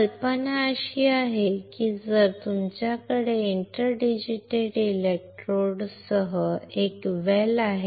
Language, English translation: Marathi, The idea is that you have a well, with inter digitated electrodes